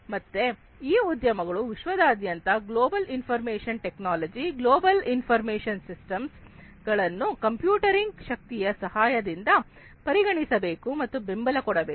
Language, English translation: Kannada, So, these industries worldwide are required to consider and promote global information technology, global information systems, with the help of this computing power